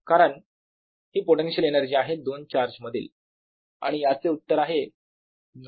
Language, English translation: Marathi, because this is the potential energy between two charges